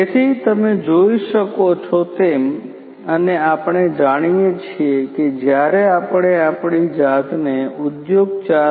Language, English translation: Gujarati, So, as you can see that in you know the when we will try to transition ourselves to industry 4